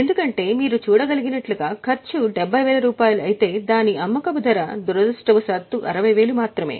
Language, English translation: Telugu, Because the cost is 70 as you can see but its selling price is unfortunately only 60